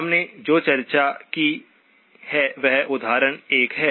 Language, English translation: Hindi, What we have discussed is example 1